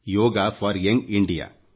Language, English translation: Kannada, Yoga for Young India